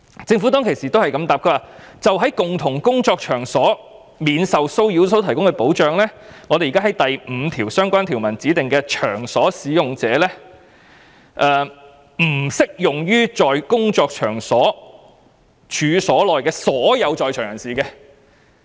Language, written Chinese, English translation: Cantonese, 政府當時的回應是，就在共同工作場所免受騷擾所提供的保障，將會對第5部相關條文所指的"場所使用者"適用，但不適用於在工作場所處所內的所有在場人士。, According to the response given by the Government at that time the protection provided for harassment in the common workplace will apply to the workplace participant referred in the relevant provisions of Part 5 but will not apply to everyone present in the workplace